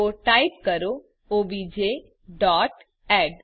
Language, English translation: Gujarati, So type obj dot add